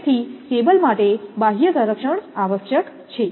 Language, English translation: Gujarati, So, it should not, external protection is required for the cable